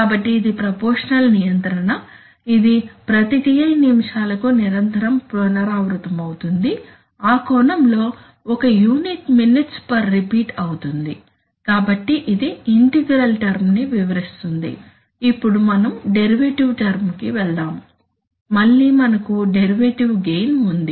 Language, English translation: Telugu, So these are the proportional control, it will continuously repeat every Ti minutes in that sense the unit is minutes per repeat, so that is the, that explains the integral term, now we go to the derivative term, again we have a derivative gain